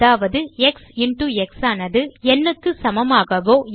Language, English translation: Tamil, Which means either x into x must be equal to n